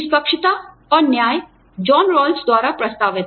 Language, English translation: Hindi, Fairness and justice, proposed by John Rawls